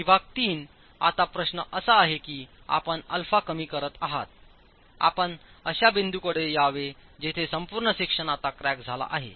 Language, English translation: Marathi, Zone 3, now the question is as you keep reducing alpha, you should come to a point where the entire section is now cracked